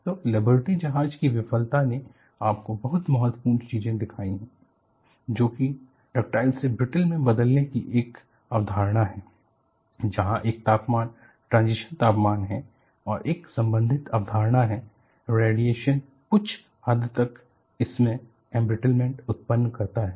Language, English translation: Hindi, So, the Liberty ship failure has shown you very important things; that there is a concept of changing from ductile to brittle; there is a temperature, transition temperature and a related concept is radiation introduces a sort of embrittlement